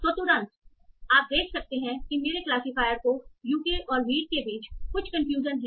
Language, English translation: Hindi, So immediately you can see that my classifier has some confusion between the classes UK and wheat